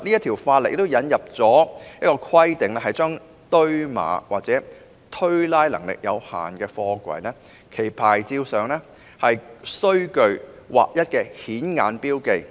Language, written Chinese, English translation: Cantonese, 《條例草案》建議規定，堆碼或推拉能力有限的貨櫃，其牌照上須具劃一的顯眼標記。, A proposal in the Bill is to require the SAPs of containers with limited stacking or racking capacity to be conspicuously marked in a standardized manner